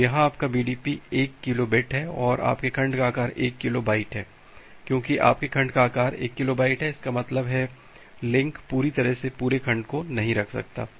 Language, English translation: Hindi, So, here am here your BDP is 1 kilo bit and your segment size is 1 kilobyte because your segment size is one kilobyte; that means, the link cannot hold an entire segment completely